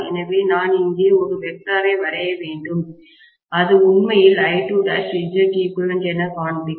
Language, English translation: Tamil, So, I could have drawn a vector here which will actually show me as I2 dash times Z equivalent